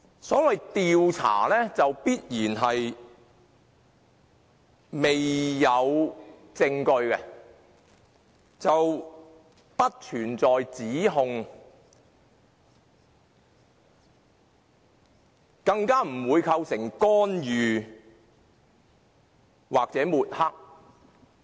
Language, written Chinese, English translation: Cantonese, 所謂"調查"，必然是未有證據的，故此並不存在指控，更不會構成干預或抹黑。, Investigation necessarily implies that evidence has yet to be found . Hence an investigation is not an accusation and will not even constitute any intervention or tarnishing